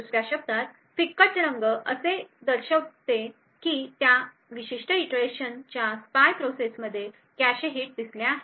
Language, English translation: Marathi, In other words a lighter color would indicate that the spy process in that particular iteration had observed cache hits